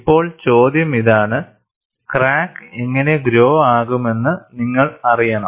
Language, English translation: Malayalam, Now, the question is, you also want to know how the crack would grow